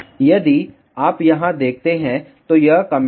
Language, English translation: Hindi, If you see here, these are the comments